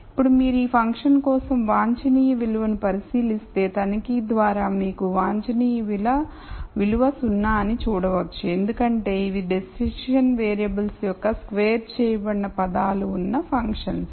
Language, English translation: Telugu, Now, if you look at the optimum value for this function and just by inspec tion you can see that the optimum value is 0 because this are functions where I have terms which are squares of the decision variables